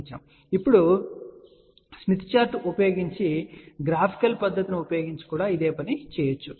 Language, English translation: Telugu, Now, the same thing can also be done using the graphical method by using Smith Chart